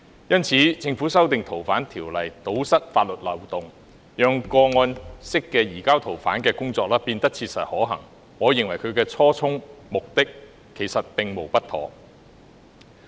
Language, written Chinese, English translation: Cantonese, 因此，政府提出修訂《條例》，堵塞法律漏洞，讓個案式的移交逃犯工作變得切實可行，我認為其初衷和目的，其實並無不妥。, For this reason the Government proposed amending FOO to plug the loopholes in law so that case - based surrenders could become practicable . In my opinion there is actually nothing wrong with its original intent and purpose